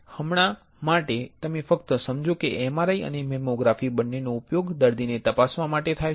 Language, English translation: Gujarati, For now, you just understand that MRI and mammography both are used for screening the patient